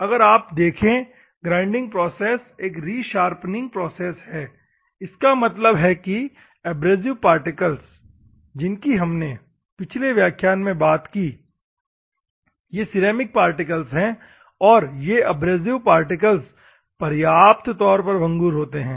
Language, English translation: Hindi, If you see the grinding is re sharpening process; that means, the abrasive particles in the previous class we have seen the abrasive particles are ceramic particles, and these abrasive particles are brittle enough